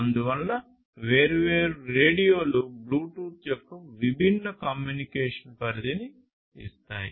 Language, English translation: Telugu, So, different radios will give you different transmission range communication range of Bluetooth